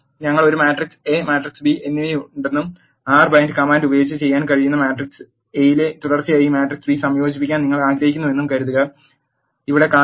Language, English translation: Malayalam, Let us suppose we have a matrix A and matrix B and you want to concatenate this matrix B as a row in matrix A that can be done using the R bind command which is shown here